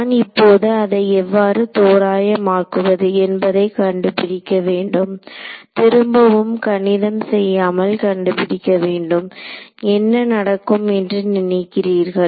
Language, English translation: Tamil, And now I have to figure out how do I approximate this, again without doing the math what do you expect will happen